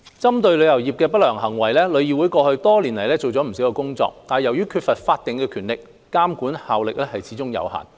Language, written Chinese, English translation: Cantonese, 針對旅遊業界的不良行為，旅議會過去多年做了不少工作，但由於缺乏法定權力，監管效力始終有限。, Targeting against unscrupulous acts in the travel industry TIC has made much efforts over the years but since it has no statutory powers its regulatory effect is limited